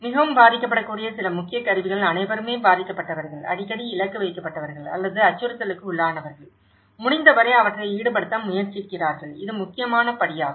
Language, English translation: Tamil, Some of the key tools, involving the most vulnerable so, who are all affected, who are frequently targeted or who are under threat, try to involve them as much as possible that is one of the important step